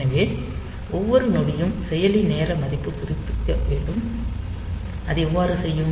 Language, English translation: Tamil, So, every second the processor should update the time value, and how will it do it